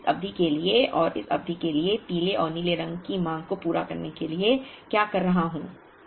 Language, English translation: Hindi, Now, what am I doing to meet the demand of the yellow and blue for this period and for this period